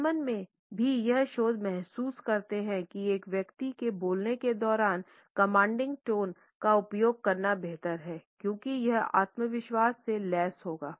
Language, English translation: Hindi, Germans also feel according to this research that using a commanding tone is better while a person is speaking, because it would be equated with self confidence